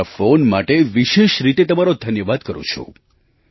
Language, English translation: Gujarati, I specially thank you for your phone call